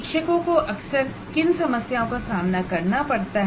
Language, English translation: Hindi, And what are these problems teachers face frequently